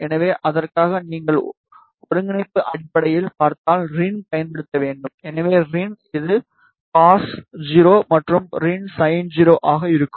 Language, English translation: Tamil, So, for that you need to use rin if you see in terms of coordinate, so rin this will be cos0 and rin sin 0